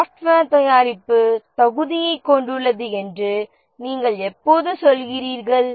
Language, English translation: Tamil, When do you say that software product has fitness of purpose